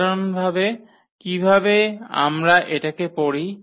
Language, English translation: Bengali, In general, how do we read this